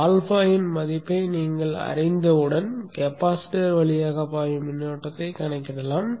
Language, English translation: Tamil, Then once you know the value of alpha you can calculate the current that is flowing through the capacitance